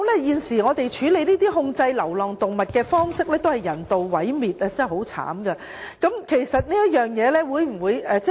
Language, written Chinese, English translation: Cantonese, 現時處理及控制流浪動物的方式只是人道毀滅，實在太殘忍！, At present euthanasia is applied to deal with and control stray animals . This is really too cruel!